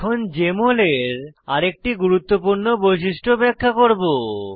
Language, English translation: Bengali, Now I will discuss another important feature of Jmol